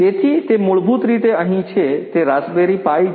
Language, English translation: Gujarati, So, it is basically over here it is the raspberry pi